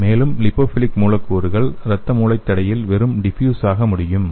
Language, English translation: Tamil, And the lipophilic molecules can simply diffuse the blood brain barrier